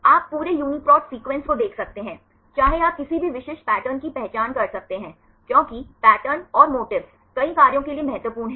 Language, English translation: Hindi, You can see the whole UniProt sequences, whether you can identify any specific patterns, because the patterns and motifs are important for several functions